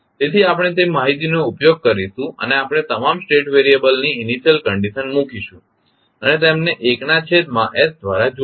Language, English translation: Gujarati, So, we will utilized that information and we will put the initial conditions of all the state variable and connect them with 1 by s